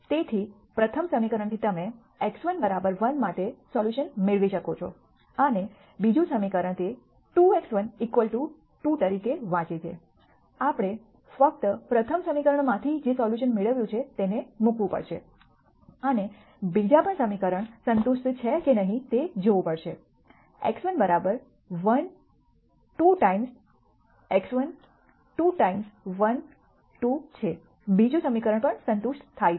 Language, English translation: Gujarati, So, from the first equation you can get a solution for x 1 equal to 1 and the second equation since it reads as 2 x 1 equal to 2, we have to simply substitute the solution that we get from the first equation and see whether the second equation is also satisfied since x 1 equal to 1 2 times x 1 2 times 1 is 2 the second equation is also satisfied